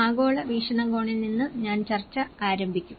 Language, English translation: Malayalam, I will start the discussion from a global perspective